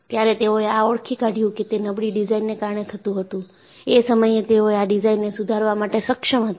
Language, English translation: Gujarati, When they identified that, they were due to poor design; they were able to improve it